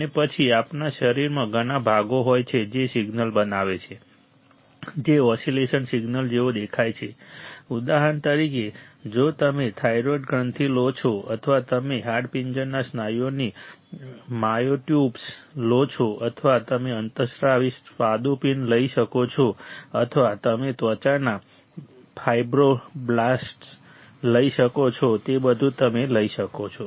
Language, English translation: Gujarati, And then we have several parts in our body which forms a signal which looks like a oscillation signal for example, if you take a thyroid gland or you take a skeletal muscles myotubes or you can take endocrine pancreas or you can take skin fibroblasts everything you will see a certain pattern see certain patterns right you see